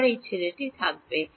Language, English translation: Bengali, Will I have this guy